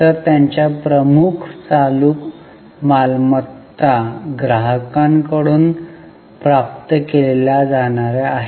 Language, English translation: Marathi, So, their major current assets are the receivables from customers